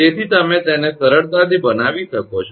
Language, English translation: Gujarati, So, you can easily make it